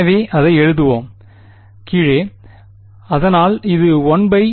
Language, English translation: Tamil, So we will just write it down, so it is 1 by r